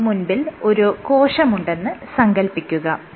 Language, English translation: Malayalam, So, imagine you have a cell